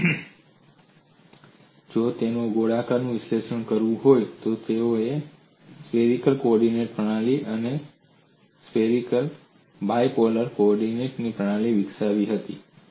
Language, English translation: Gujarati, So they develop skewed coordinate system, and they if they have to analyze swear, they had developed spherical coordinate system and spherical bipolar coordinate system